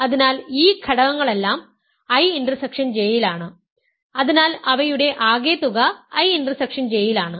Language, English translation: Malayalam, So, all these elements are in I intersection J, so their sum is in I intersection J